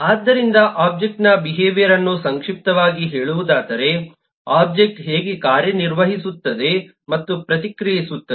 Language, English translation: Kannada, so to summarize, eh, the behavior of an object is how an object acts, how an object acts and reacts